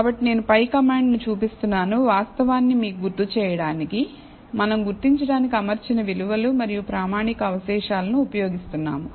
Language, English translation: Telugu, So, I am displaying the command above to remind, you of the fact that we are using fitted values and standardized residuals to identify